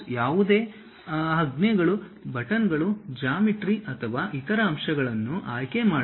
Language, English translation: Kannada, To select any commands, buttons, geometry or other elements